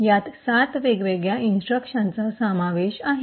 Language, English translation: Marathi, It comprises of 7 different instructions